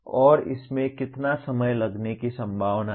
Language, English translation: Hindi, And how much time it is likely to take